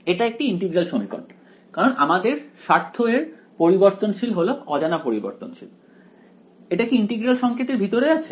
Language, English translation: Bengali, It is an integral equation why because the variable of a interest which is the unknown variable is it appearing inside the integral sign